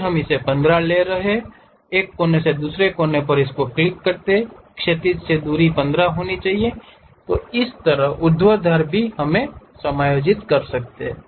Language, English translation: Hindi, From one of the corner to other corner, the horizontal distance supposed to be 15; similarly, vertical also we can adjust it